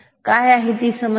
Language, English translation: Marathi, What is the problem